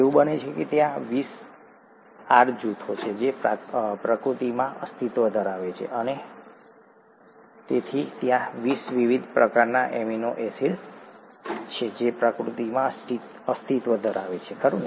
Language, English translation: Gujarati, It so happens that there are twenty R groups, that exist in nature and therefore there are 20 different types of amino acids that exist in nature, right